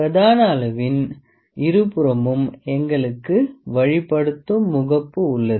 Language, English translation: Tamil, And on the both sides of the main scale we have guiding face